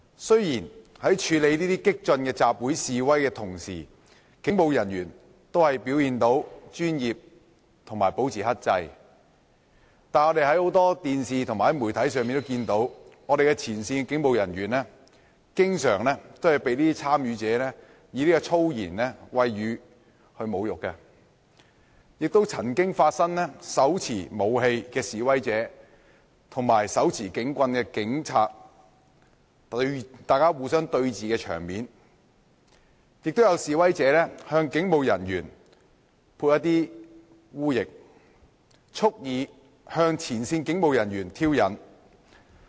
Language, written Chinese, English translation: Cantonese, 雖然在處理這些激進的集會示威時，警務人員都表現專業及保持克制，但我們在電視及許多媒體上，看到前線警務人員經常被示威者以粗言穢語侮辱，亦看到手持武器的示威者與手持警棍的警察對峙的場面，也有示威者向警務人員潑污液，蓄意向前線警務人員挑釁。, Although police officers performed professionally and remained restrained in handling these radical assemblies and protests we saw on television and in many media that frontline policemen were often insulted with abusive languages by protesters . We also saw protesters holding weapons in hands confronting policemen with batons . Some protesters also splashed dirty liquid to provoke frontline police officers deliberately